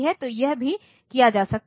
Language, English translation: Hindi, So, that can also be done